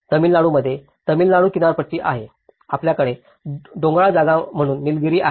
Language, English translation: Marathi, Similarly, in Tamil Nadu you have the coastal Tamil Nadu; you have the Nilgiris, as a mountainous place